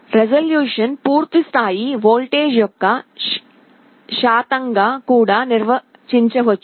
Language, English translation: Telugu, Resolution can also be defined as a percentage of the full scale voltage